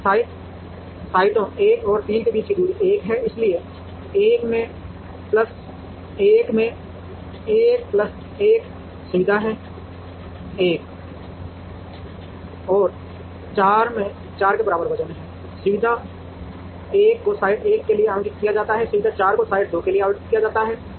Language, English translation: Hindi, So, distance between sites 1 and 3 is 1, so 1 into 1 plus facilities 1 and 4 have weight equal to 4, facility 1 is allocated to site 1, facility 4 is allocated to site 2